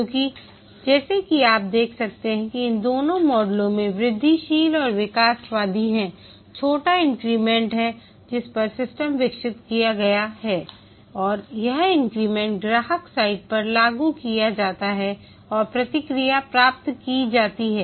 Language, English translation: Hindi, Because as I can see that in both these models incremental and evolutionary, there are small increments over which the system is developed and these increments are deployed at the customer site and feedback obtained